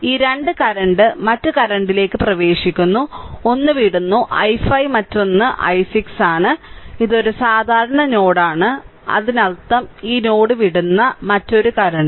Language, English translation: Malayalam, This 2 current are entering other current is leaving one is i 5 another is i 6 plus this ah this is a common node right; that means, another current also if you take leaving this node